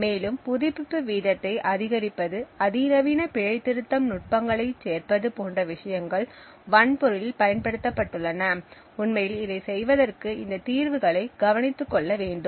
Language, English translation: Tamil, Also, things like increasing the refresh rate, adding more sophisticated error correction techniques have been used in the hardware to actually make this to take care of these solutions